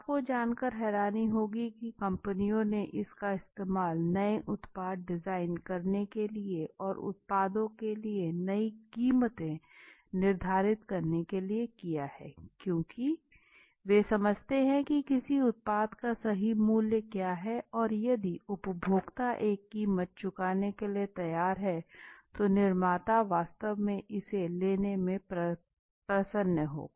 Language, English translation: Hindi, Now you would be very you know surprised you know that companies have used qualitative research in order to get new product designs, set new prices for the products because they understand for example, what is the right price for a product we do not know, so if the consumer is ready to pay a price then the manufacture would really be happy to take that, right